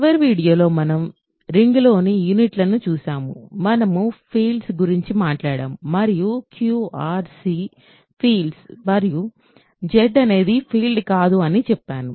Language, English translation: Telugu, So, in the last video we looked at units in a ring, we talked about fields and I said Q, R, C are fields and Z is not a field